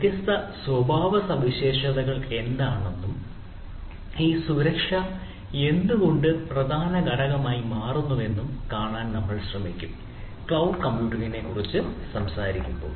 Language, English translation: Malayalam, so we will try to see that what are the different characteristics and why this security becomes the important component when we talk about cloud computing